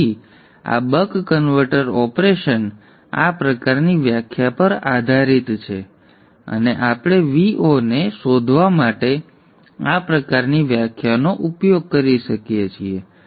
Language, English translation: Gujarati, So this buck converter operation is based on this kind of a definition and we can use this kind of a definition to find the V0